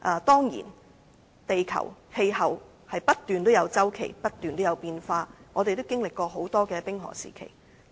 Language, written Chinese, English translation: Cantonese, 當然，地球氣候有不斷的變化周期，地球也經歷過多個冰河時期。, Certainly there are cycles of global climate change and the earth has undergone a number of ice ages